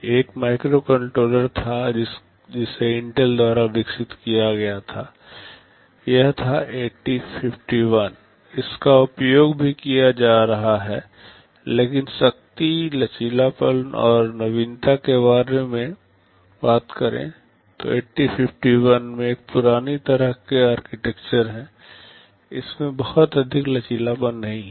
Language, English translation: Hindi, There was one microcontroller which was developed by Intel, it was 8051, it is still being used, but talking about the power, flexibility and innovativeness, 8051 has an old kind of an architecture, it does not have too much flexibility